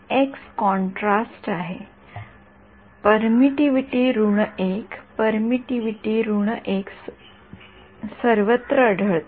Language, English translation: Marathi, x is contrast permittivity minus 1, that permittivity minus 1 appeared everywhere